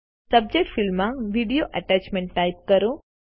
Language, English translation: Gujarati, In the Subject field, type Video Attachment